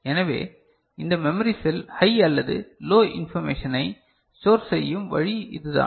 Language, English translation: Tamil, So, this is the way this memory cell is storing information, high or low